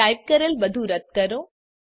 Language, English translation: Gujarati, Remove all that we just typed